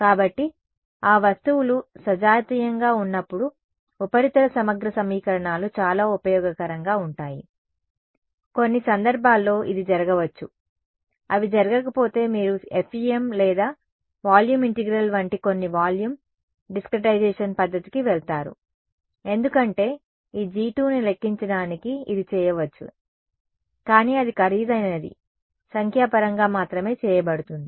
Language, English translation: Telugu, So, surface integral that is what surface integral equations are very useful when that objects are homogenous, which can happen in some cases, if they do not happen then you will go to some volume discretization method like FEM or volume integral because calculating this G 2 it can be done, but it will it can be done numerically only which is expensive